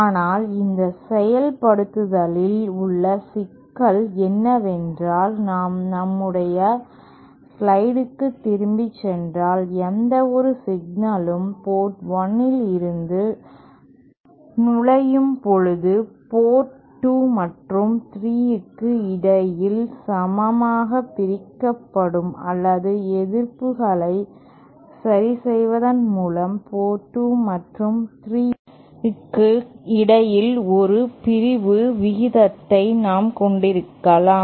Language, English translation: Tamil, But the problem with this implementation is that if we go back to our slide, any single entering port 1 will be equally divided between ports 2 and 3 or by suitably adjusting these resistances we can have a division ratio between ports 2 and 3